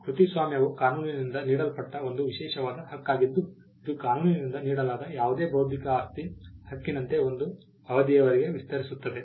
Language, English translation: Kannada, The copyright is an exclusive right which is given by the law which extends to a period of time, like any other intellectual property right that is granted by the law and it exist for a period of time